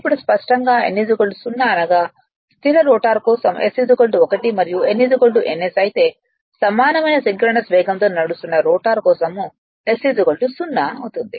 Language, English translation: Telugu, That is for the stationary rotor and s is equal to 0 for n is equal s that is for the rotor running at synchronous speed right